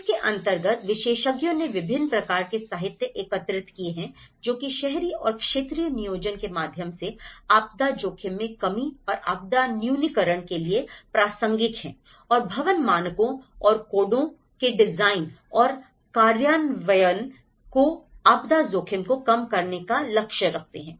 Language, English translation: Hindi, So, the experts have collected a variety of literature, which is pertinent to disaster risk reduction and disaster mitigation through urban and regional planning and the design and implementation of building standards and codes that aim to reduce disaster risk